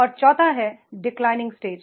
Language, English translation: Hindi, And fourth one is that is declining stage